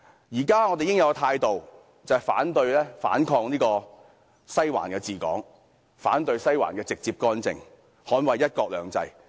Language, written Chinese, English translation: Cantonese, 現時我們應有的態度是，反對、反抗"西環治港"，反對"西環"直接干政，捍衞"一國兩制"。, We should now adopt the stance of opposing and resisting Western District ruling Hong Kong opposing interference in political affairs by Western District and defending one country two systems